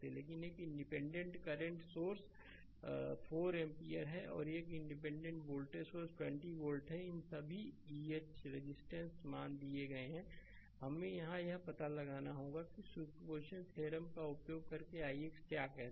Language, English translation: Hindi, But one independent current source is there 4 ampere and one independent voltage source is there 20 volt, all others are eh resistance values are given, we have to find out here what you call i x using superposition theorem right